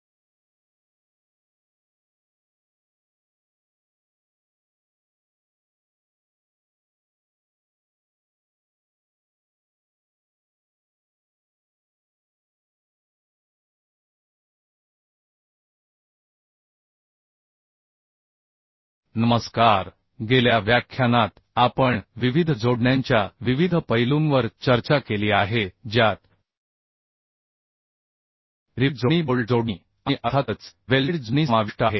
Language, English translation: Marathi, Hello, in last lecture we have discussed various aspects of different connections, which includes rivet connections, bolt connections and, of course, welded connections